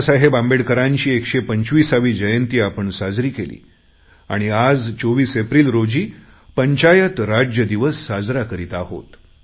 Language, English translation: Marathi, We celebrated 14th April as the 125th birth anniversary of Babasaheb Ambedekar and today we celebrate 24th April as Panchayati Raj Day